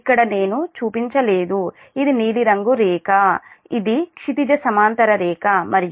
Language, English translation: Telugu, these is the blue line, horizontal line and this one, right